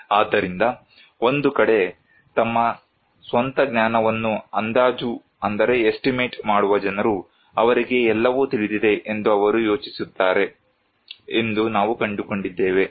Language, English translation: Kannada, So, we found that one side, there is a possibility that people who are estimate their own knowledge, they think, they know everything